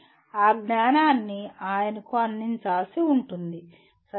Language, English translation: Telugu, That knowledge will have to be presented to him, okay